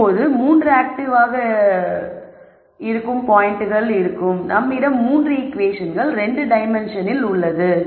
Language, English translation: Tamil, Now when all 3 are active then we have 3 equations in 2 dimensions right